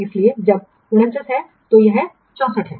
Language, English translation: Hindi, So, when 49, then this is 64